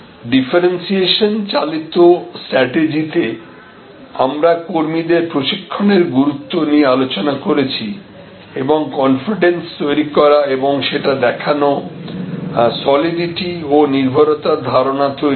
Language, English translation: Bengali, We did not discuss about in differentiation driven strategies, the importance of personnel training and creating the confidence or projecting the confidence, creating the perception of solidity and dependability